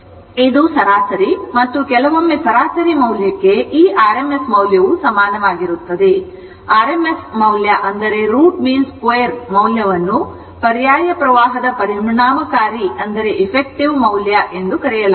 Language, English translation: Kannada, So, this is average mean and this RMS for sometimes average value is equal to mean value RMS value that is root mean square value will see what is this is called effective value of an alternating current